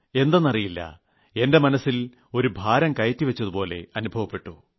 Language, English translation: Malayalam, I don't know but I feel a burden on my heart and mind